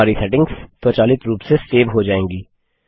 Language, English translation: Hindi, Our settings will be saved automatically